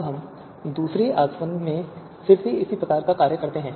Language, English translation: Hindi, Now we again do a similar kind of thing in the second distillation